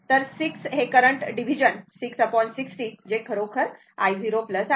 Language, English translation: Marathi, So, 6 current division 6 by 60 right that is equal to actually i 0 plus right